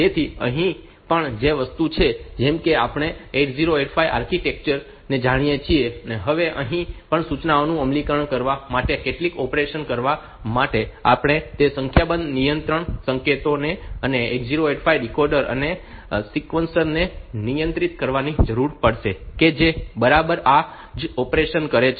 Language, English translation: Gujarati, So, here also the same thing like the now we know the 8085 architecture, now here also for doing some operation executing the instructions so, we will need to you will need to control those number of control signals and 8085 the decoder and sequencer that exactly does this operation